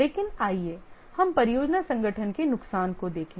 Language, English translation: Hindi, But let's look at the disadvantage of the project organization